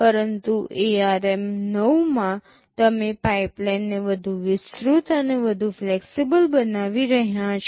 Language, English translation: Gujarati, But in ARM 9, you are making the pipeline more elaborate and more flexible